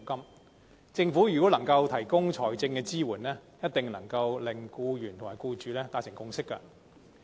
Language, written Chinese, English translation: Cantonese, 如果政府能夠提供財政支援，一定能夠令僱員和僱主達成共識。, Sufficient financial assistance from the Government will definitely help forge a consensus between employees and employers